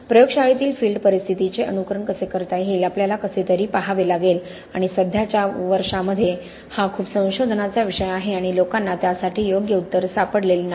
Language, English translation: Marathi, We need to somehow look at how we can simulate field conditions in the lab and that has been a subject of a lot of research over the current years and people have not really found the right answer for that